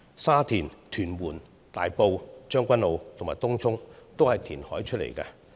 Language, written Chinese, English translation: Cantonese, 沙田、屯門、大埔、將軍澳和東涌，都是填海出來的。, Sha Tin Tuen Mun Tai Po Tseung Kwan O and Tung Chung are all reclaimed land